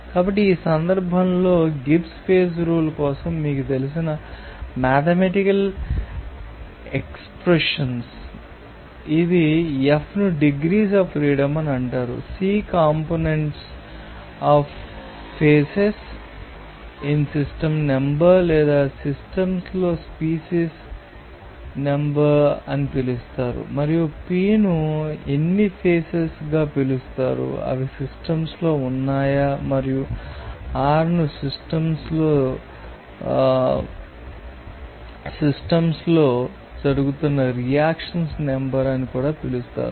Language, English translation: Telugu, So, this is your you know mathematical expression for the Gibbs phase rule in this case F is called degrees of freedom C is called number of components of phases in the system or number of species are present in the systems and P is called how many phases are they are in the system and also R is called the number of reactions are going on the system